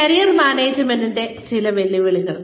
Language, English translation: Malayalam, Some challenges to Career Management